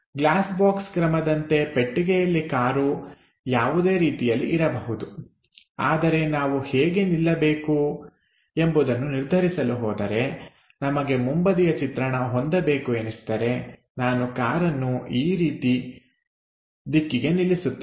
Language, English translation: Kannada, So, the box in the glass box method car might be in any inclination, but if we are going to decide this one I would like to have a front view I would have placed the car in that direction